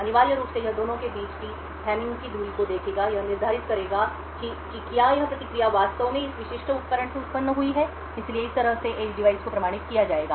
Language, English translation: Hindi, Essentially it would look at the Hamming distance between the two and determine whether this response has actually originated from this specific device so in this way the edge device will be authenticated